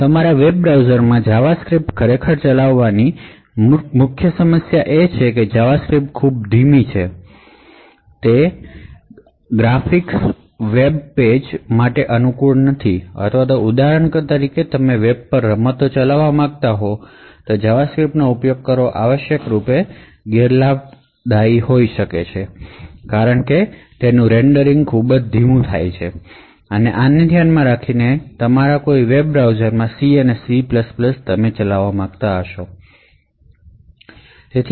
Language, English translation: Gujarati, The huge problem with actually running JavaScript in your web browser is that JavaScript is extremely slow and therefore it is not suited for high end graphic web pages or for example if you are running games over the web, so using JavaScript would be essentially a huge disadvantage because the rendering would be extremely slow, so keeping this in mind one would want to run C and C++ code in your web browser